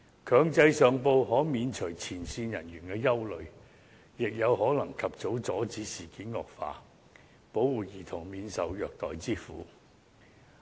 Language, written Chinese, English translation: Cantonese, 強制上報可免除前線人員的憂慮，亦有可能及早阻止事件惡化，保護兒童免受虐待之苦。, Mandatory reporting can alleviate the concerns of frontline staff and prevent deterioration of the incident as soon as possible protecting children from abuse